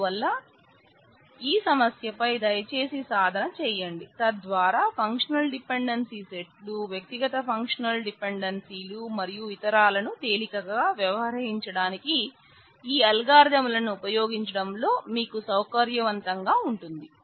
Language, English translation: Telugu, So, please practice on this problem, so that you become comfortable with using this algorithms for dealing easily with the functional dependency sets of functional dependencies, individual functional dependencies and so on